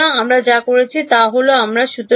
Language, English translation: Bengali, So, what we have done is that we have spoken about